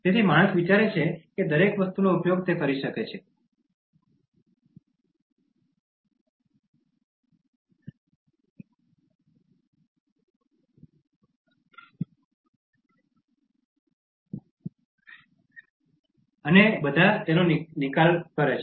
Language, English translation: Gujarati, So, man thinks that he can use everything, and all are at his disposal